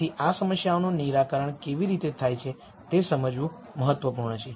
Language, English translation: Gujarati, So, it is important to understand how these problems are solved